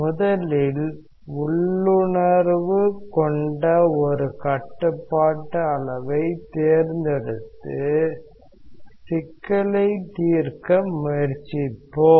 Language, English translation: Tamil, Let us first choose a control volume which is intuitive and try to solve the problem